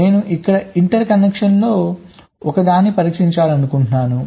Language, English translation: Telugu, suppose i want to test one of the interconnections here